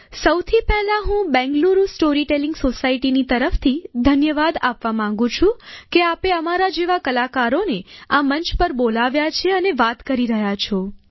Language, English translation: Gujarati, First of all, I would like to thank you on behalf of Bangalore Story Telling Society for having invited and speaking to artists like us on this platform